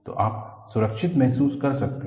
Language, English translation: Hindi, So, you can feel safe